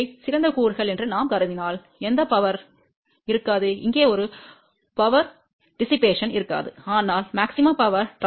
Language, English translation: Tamil, If we assume that these are the ideal components, then there will be a no power dissipation here, there will be a no power dissipation here but maximum power transfer has taken place